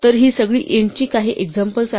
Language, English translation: Marathi, So, these are some examples of values of type int